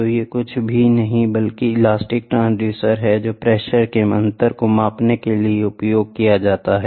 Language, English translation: Hindi, So, these are nothing but elastic transducers which are used to measure the pressure difference